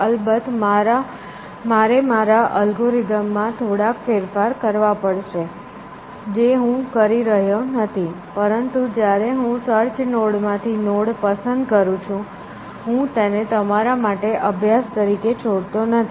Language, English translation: Gujarati, Of course, now I have to modify my algorithm little bit, which I am not doing, but I am leaving does not exercise for you to do, when you pick a node from the search node